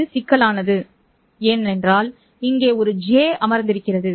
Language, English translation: Tamil, It is complex because there is a J term sitting here